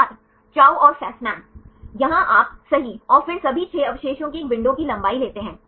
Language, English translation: Hindi, Chou and Fasman Here you take a window length all of 6 residues right and then